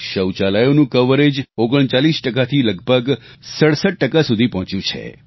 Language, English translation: Gujarati, Toilets have increased from 39% to almost 67% of the population